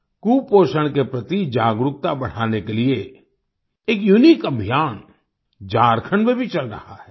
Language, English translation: Hindi, A unique campaign is also going on in Jharkhand to increase awareness about malnutrition